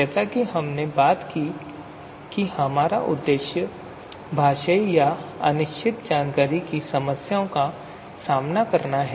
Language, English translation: Hindi, And the main idea as we have talked about to confront the problems of linguistic or uncertain information